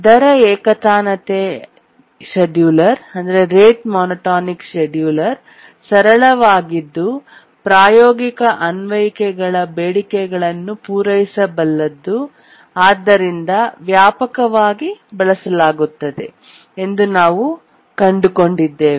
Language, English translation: Kannada, And we found that the rate monotonic scheduler is the one which is simple and it can meet the demands of the practical applications and that's the one which is actually used widely